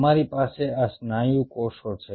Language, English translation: Gujarati, right, you have these muscle cells